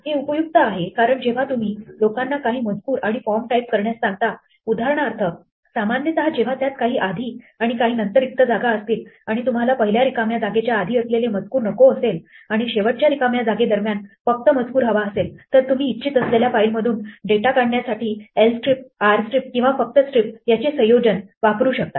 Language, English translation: Marathi, This is useful because when you ask people to type things and forms for example, usually if they leave some blanks before and after, so if you want everything before the first blank to be lost and the last blank only keep the text in between then you can use the combination of lstrip, rstrip or just strip to extract the actual data that you want from the file